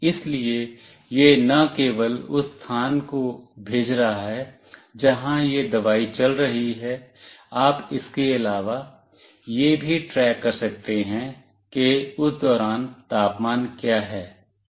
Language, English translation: Hindi, So, it is not only sending the location where this medicine is going through, you can also track apart from that what is the current temperature during that time etc